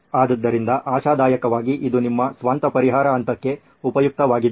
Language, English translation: Kannada, So hopefully this was useful for your own solve stage